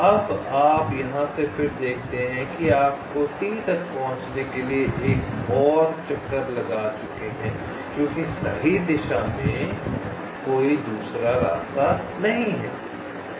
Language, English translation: Hindi, now you see, from here again you have take another detour to reach t because there is no other path in the right direction